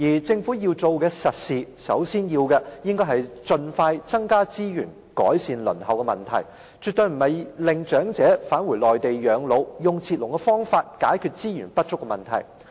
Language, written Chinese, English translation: Cantonese, 政府要做的實事，首先就是盡快增加資源改善輪候問題，而絕非要長者返回內地養老，以截龍方式解決資源不足的問題。, What the Government should do is to pragmatically and expeditiously spend more resources on improving the queuing time rather than encouraging elderly persons to retire in the Mainland so as to cut the queue and solve the problem of inadequate resources